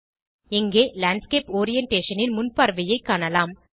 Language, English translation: Tamil, Here we can see the preview of Landscape Orientation